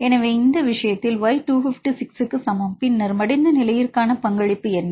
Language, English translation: Tamil, So, in this case y equal to 256, right 256, then what is the contribution for the folded state and what is the contribution from the unfolded state